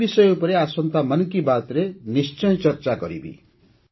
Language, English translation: Odia, I will also touch upon this topic in the upcoming ‘Mann Ki Baat’